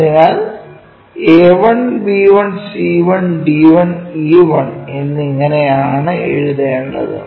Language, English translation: Malayalam, So, a 1, b 1, c 1, d 1, and e 1 this is the way we should write it